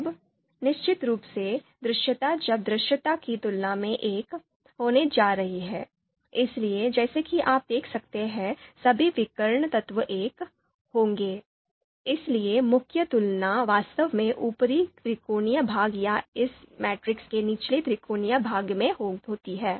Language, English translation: Hindi, Now visibility compared to visibility is going to be one, so the diagonal elements as you can see they are all 1, So the main comparison are actually either in the upper you know triangular part of it or the lower triangular part of this matrix